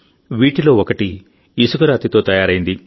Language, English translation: Telugu, One of these is made of Sandstone